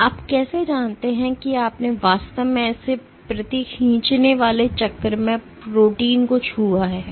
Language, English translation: Hindi, So, how do you know that you have actually touched the protein in one per such pulling cycle